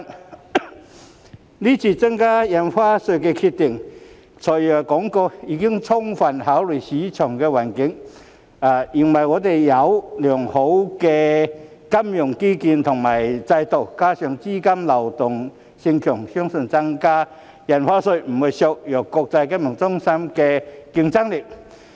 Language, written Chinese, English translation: Cantonese, 對於這次增加印花稅的決定，"財爺"表示已充分考慮市場環境，認為我們有良好的金融基建和監管制度，加上資金流動性強，相信增加印花稅不會削弱國際金融中心的競爭力。, Regarding the present decision to increase Stamp Duty FS said that he had fully considered the market environment and opined that we have a good financial infrastructure and regulatory system; coupled with strong capital liquidity he thus believed that the increase in stamp duty would not cripple the competitiveness of the international financial centre